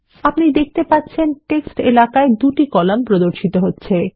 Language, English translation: Bengali, You see that 2 columns get displayed in the text area